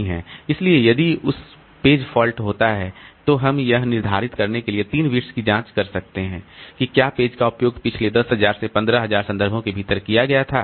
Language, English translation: Hindi, So if a page for talkers, we can examine the three bits to determine whether the page was used within the last 10,000 to 15,000 references